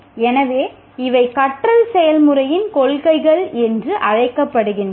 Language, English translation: Tamil, So these are principles of learning process